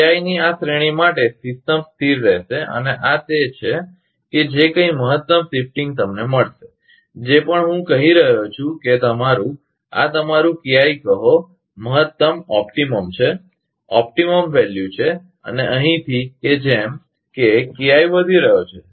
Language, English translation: Gujarati, For this range of KI system will be stable and this is that, whatever maximum shifting will get, whatever I am telling that your, this is your say KI optimum, this is optimum value and from here, that as KI is going on increasing